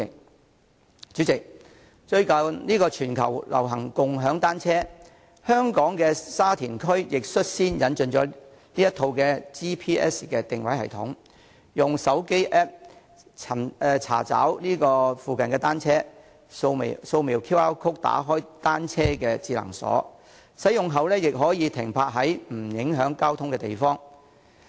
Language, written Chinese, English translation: Cantonese, 代理主席，最近全球流行共享單車，香港的沙田區亦率先引進了這套 GPS 全球定位系統，用戶可以使用手機 App 查找附近的單車，掃描 QR code 打開單車的智能鎖，使用後可以把單車停泊在不影響交通的地方。, Deputy President bicycle - sharing has recently become popular around the world . The Sha Tin District in Hong Kong has taken the lead in introducing this GPS . Users can use a mobile App to search for the bicycles nearby scan the QR code to open the smart lock of the bicycles and park the bicycles at places not affecting traffic after use